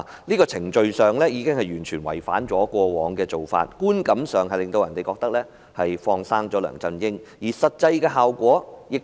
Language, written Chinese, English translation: Cantonese, 這程序已經完全違反過往的做法，予人的感覺是"放生"梁振英，而實際的效果亦如此。, The approach has departed from the past practice and given the public an impression that LEUNG Chun - ying was set free and in effect he was set free